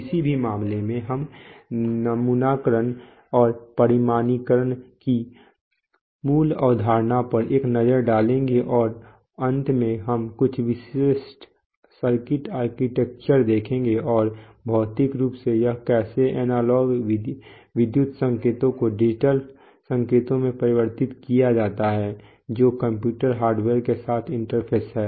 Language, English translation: Hindi, In any case we will take a look at the basic concept of sampling and quantization and finally we will see some typical circuit architectures and actually, physically how is it that the analog electrical signals get converted to, to digital signals which are interface with the computer hardware, so we will look at that, so these are the basic objectives